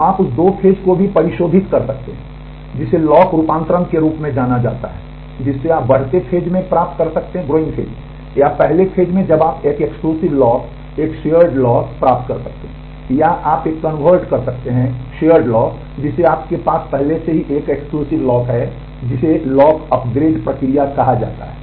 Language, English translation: Hindi, So, you could also in refine the two phase locking with what is known as lock conversion that is you can acquire in the in the growing phase, or the first phase you can acquire a exclusive lock, a shared lock, or you can convert a shared lock that you already have into an exclusive lock which is called the lock upgrade process